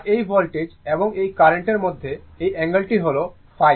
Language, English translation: Bengali, And this angle between this voltage and this current, it is phi angle is the phi, right